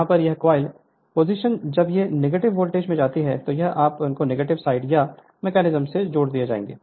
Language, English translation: Hindi, The here this coil position from plus when it will go to the negative voltage induced automatically it will be connected to the negative side by this mechanism